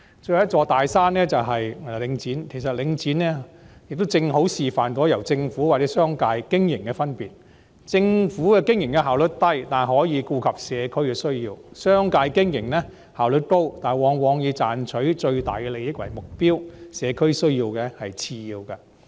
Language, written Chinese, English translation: Cantonese, 最後一座"大山"是領展，其實領展正好示範了由政府或商界經營的分別，政府經營的效率低，但可以顧及社區的需要；而商界經營則效率高，但往往以賺取最大利益為目標，社區需要只是次要。, The last big mountain is Link REIT . In fact Link REIT has precisely demonstrated the difference between operation by the Government and that by the business sector . Operation by the Government suffers low efficiency but it can cater for the needs of the community whereas operation by the business sector enjoys high efficiency but very often its goal is to make the greatest profit with community needs being accorded a lower priority